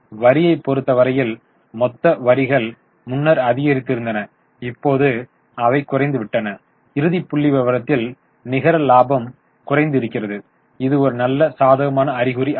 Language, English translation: Tamil, Tax total taxes earlier went up, now they have gone down and the final figure reported net profit is also showing a reduction which is not a very positive sign